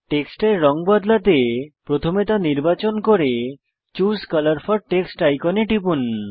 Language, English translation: Bengali, To change the colour of the text, first select it and click the Choose colour for text icon